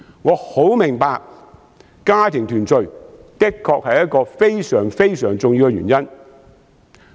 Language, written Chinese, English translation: Cantonese, 我很明白家庭團聚的確是非常重要的原因。, I understand very well that family reunion is indeed a very important reason